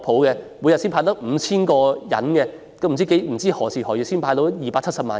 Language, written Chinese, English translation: Cantonese, 每天只"派錢"給 5,000 人，不知何時何月才能完成"派錢"給270萬人？, If money will be handed out to 5 000 people each day I do not know when it can finish handing out the money to 2.7 million people